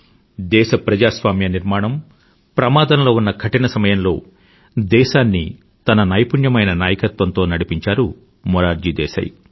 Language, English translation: Telugu, Morarji Desai steered the course of the country through some difficult times, when the very democratic fabric of the country was under a threat